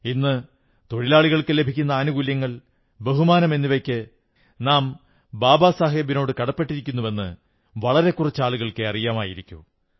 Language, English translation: Malayalam, You would be aware that for the facilities and respect that workers have earned, we are grateful to Babasaheb